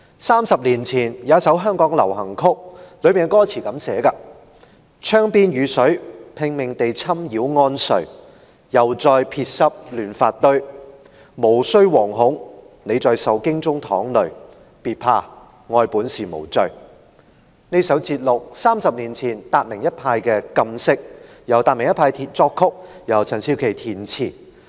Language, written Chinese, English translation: Cantonese, 三十年前，香港有一首流行曲，當中有這樣的歌詞："窗邊雨水拼命地侵擾安睡又再撇濕亂髮堆無須惶恐你在受驚中淌淚別怕愛本是無罪"歌詞節錄自30年前達明一派的"禁色"，由達明一派作曲、陳少琪填詞。, Thirty years ago there was a Cantonese pop song in Hong Kong and the lyrics read as follows Rain keeps pattering against the window to disturb you sleep Once again raindrops wet your untidy hair No need to panic you weep in terror No need to fear for love is no sin at all The above is an abstract from Tat Ming Pairs song entitled Colour Forbidden composed by Tat Ming Pair and written by Keith CHAN